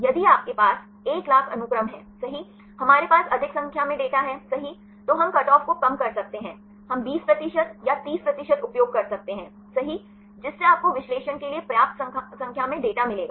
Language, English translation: Hindi, If you have 100,000 sequences right, we have more number of data right then we can decrease the cut off, we can use 20 percent or 30 percent right, so that you will get sufficient number of data for the analysis